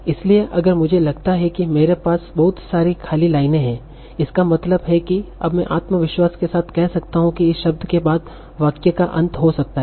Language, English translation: Hindi, So if I feel that there are a lot of blank lines after me, that means after this word, I may say, okay, this might be the end of the sentence with a good confidence